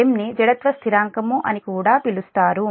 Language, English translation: Telugu, m is also called the inertia constant